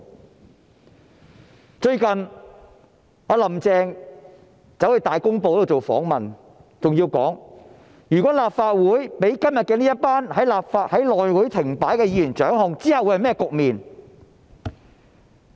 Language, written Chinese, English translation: Cantonese, "林鄭"最近接受《大公報》訪問時說，如果立法會被今天這群導致內務委員會停擺的議員掌控，日後會是甚麼局面？, In a recent interview with Ta Kung Pao Carrie LAM wondered what would happen if the Legislative Council came under the control of the Members who had caused the House Committee impasse today